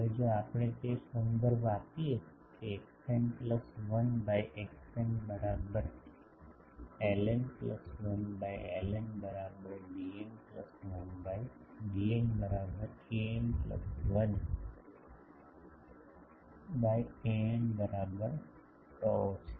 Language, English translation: Gujarati, Now, if we relate that x n plus 1 by x n is equal to l n plus 1 by l n is equal to d n plus 1 by d n is equal to an plus 1 by an is equal to a parameter tau